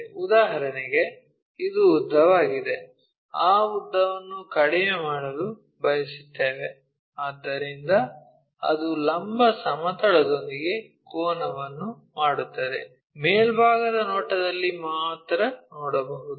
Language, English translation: Kannada, For example, this is the longer one, we want to decrease that length, so that it makes an angle with the vertical plane, that we can see only in the top view